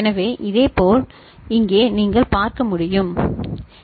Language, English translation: Tamil, So, similarly over here you can see is it ok